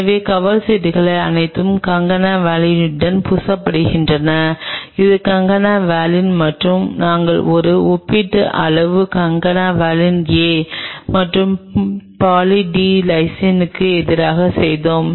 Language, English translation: Tamil, So, the cover slips were all coated with concana valine and this is concana valine and we made a comparative study concana valine A versus Poly D Lysine